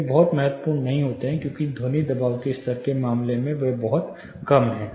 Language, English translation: Hindi, They may not be much critical, because in terms of sound pressure level they are pretty low